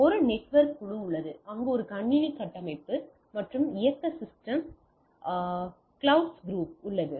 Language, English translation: Tamil, So, there is a network group there is a computer architecture and operating systems clouds group